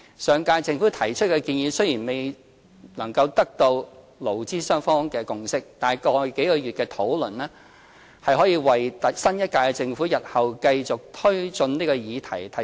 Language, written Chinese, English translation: Cantonese, 上屆政府提出的建議雖然未能取得勞資雙方的共識，但過去數月的討論提供了基礎，令新一屆政府日後能繼續推進這議題。, Though the proposal put forward by the last term Government failed to gain consensus between the employers and employees a basis was formed after months of discussion on which the new Government can go on pushing the issue forward in future